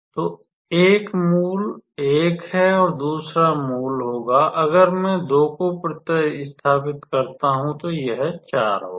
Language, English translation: Hindi, So, one root is 1 and another root will be; if I substitute 2, then this will be 4